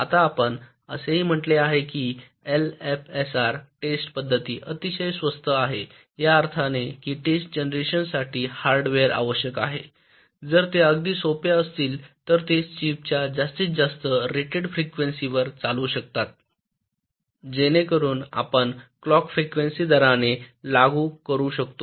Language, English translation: Marathi, now we have also said that l f s r test patterns are very cheap and inexpensive in the sense that the hardware required for the test generation if very simple, they can run at the maximum rated frequency of the chip so that you can apply the clock frequency at the rated ah